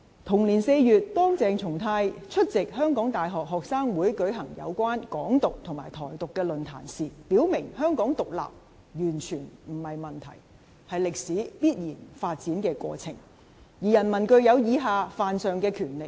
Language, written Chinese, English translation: Cantonese, 同年4月，當鄭松泰出席香港大學學生會舉辦有關"港獨"和"台獨"的論壇時，他表明香港獨立完全不是問題，是歷史必然發展的過程，而人民具有以下犯上的權力。, In April that year when attending a forum on Hong Kong independence and Taiwan independence organized by the Hong Kong University Students Union CHENG Chung - tai made it clear that Hong Kongs independence is not at all an issue but an inevitable process in history and that the people have the power to defy their superiors